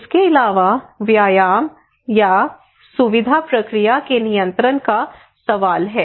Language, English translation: Hindi, Also there is a question of control of exercise or facilitation process